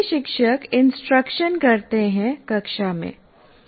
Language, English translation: Hindi, All teachers do instruction in the classroom